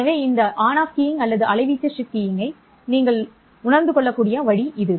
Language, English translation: Tamil, So, this is the way in which you can realize this on off keying or amplitude shift keying